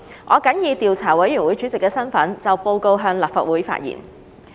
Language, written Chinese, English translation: Cantonese, 我謹以調查委員會主席的身份，就報告向立法會發言。, In my capacity as Chairman of the Investigation Committee I shall address the Council on the Report